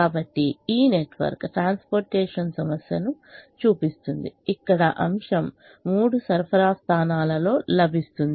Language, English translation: Telugu, so this network shows a transportation problem where the item is available in three supply points which are shown here